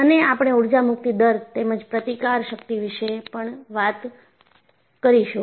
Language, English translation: Gujarati, And, we will also talk about Energy Release Rate, as well as the resistance